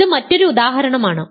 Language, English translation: Malayalam, So, this is another example